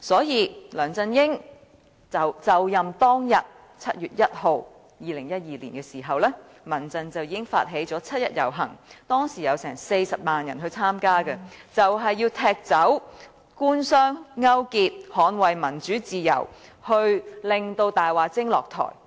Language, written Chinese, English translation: Cantonese, 因此，在2012年7月1日梁振英就任當天，民間人權陣線已經發起七一遊行，當時有40萬人參加，要踢走官商勾結，捍衞民主自由，令"大話精"下台。, This explains why when LEUNG Chun - ying took office on 1 July 2012 the Civil Human Rights Front initiated the 1 July march which was attended by 400 000 people in a bid to kick away collusion between business and the Government safeguard democracy and freedom and make the liar step down